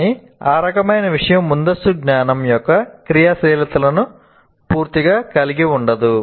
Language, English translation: Telugu, But that is, that kind of thing doesn't fully constitute the activation of prior knowledge